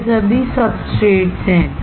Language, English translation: Hindi, All these are substrates